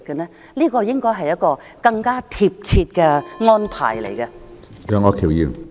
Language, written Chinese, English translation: Cantonese, 這方面應該有更貼切的安排。, There should be more appropriate arrangements in this regard